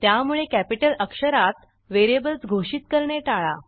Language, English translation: Marathi, So avoid declaring variables using Capital letters